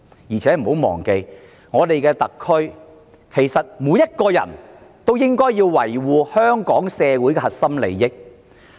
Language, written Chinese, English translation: Cantonese, 再者，大家不要忘記，特區內每個人其實也應維護香港社會的核心利益。, Furthermore we should not forget that everyone in the SAR should actually uphold the core interest of our society